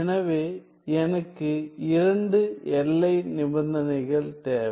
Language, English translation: Tamil, So, I need two boundary conditions